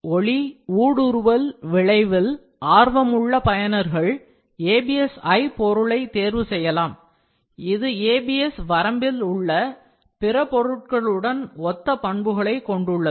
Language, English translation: Tamil, Users interested in a translucent effect may opt for ABSi material, which has similar properties to other materials in the ABS range